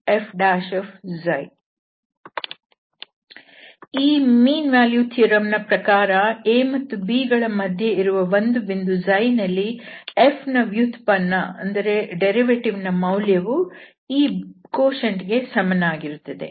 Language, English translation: Kannada, So, the mean value theorem says that, there will be a point between a and b where this quotient will be equal to the derivative of f